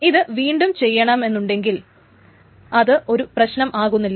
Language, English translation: Malayalam, So if that is redone, that is not a problem